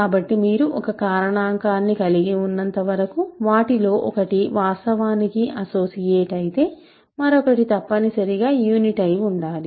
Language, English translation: Telugu, So, as long as you have a factorisation where one of them is actually an associate then the other must be a unit